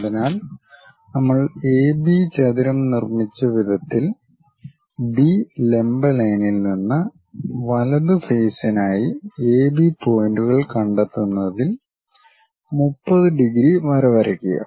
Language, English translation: Malayalam, So, the way how we have constructed rectangle AB, draw a 30 degrees line on that locate AB points for the right face now from B perpendicular line